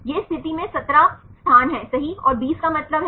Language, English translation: Hindi, These are positions right 17 positions and 20 stands for